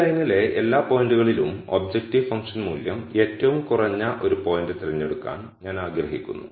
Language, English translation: Malayalam, Of all the points on this line, I want to pick that one point where the objective function value is the minimum